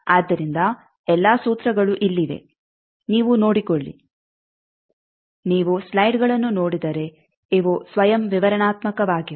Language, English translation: Kannada, So, all the formulas are here you just go through these are self explanatory if you see the slides